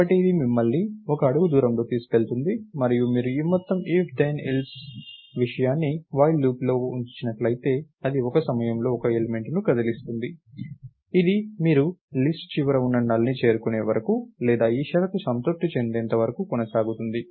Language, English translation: Telugu, So, this takes you one step away and if you put this whole thing, if the this if then else condition if its inside a while loop, it will move one element at a time till you either reach the null which is the end of list or when you reach the condition